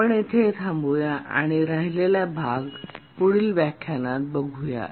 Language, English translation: Marathi, We'll stop here and from this point we'll continue the next lecture